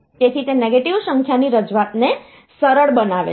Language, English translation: Gujarati, So, that makes the negative number representation easy